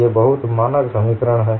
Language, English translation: Hindi, These are very standard expressions